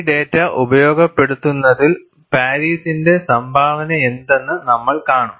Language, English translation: Malayalam, We would see, what is the contribution of Paris in utilizing this data